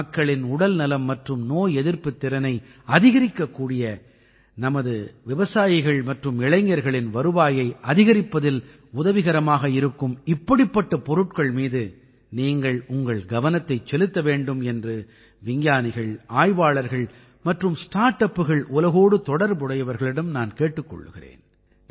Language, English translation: Tamil, I urge scientists, researchers and people associated with the startup world to pay attention to such products, which not only increase the wellness and immunity of the people, but also help in increasing the income of our farmers and youth